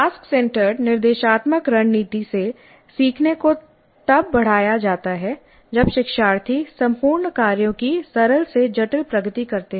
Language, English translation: Hindi, So learning from task centered instructional strategy is enhanced when learners undertake a simple to complex progression of whole tasks